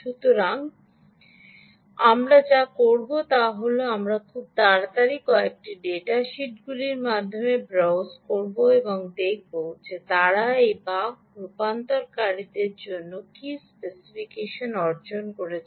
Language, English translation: Bengali, ok, so what we will do is we will just quickly browse through a few data sheets and see, ah, what specification they have acquired for these buck converters